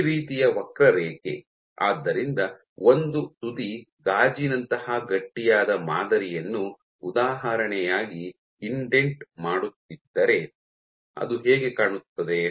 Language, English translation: Kannada, So, this kind of curve, so this is how it will look if a tip is indenting a stiff sample like glass example glass